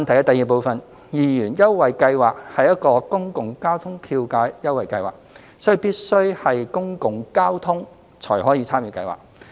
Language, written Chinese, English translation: Cantonese, 二二元優惠計劃是一個公共交通票價優惠計劃，所以必須是公共交通才可參與計劃。, 2 The 2 Scheme is a public transport fare concession scheme and hence its coverage should be confined to public transport